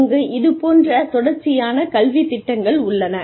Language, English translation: Tamil, We have continuing education programs